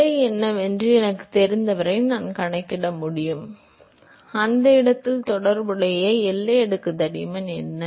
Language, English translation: Tamil, As long as I know what the position is I should be able to calculate; what is the corresponding boundary layer thickness at that location